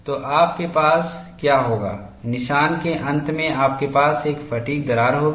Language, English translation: Hindi, So, what you will have is, at the end of notch you will have a fatigue crack